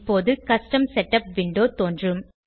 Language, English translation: Tamil, Now, Custom Setup window will appear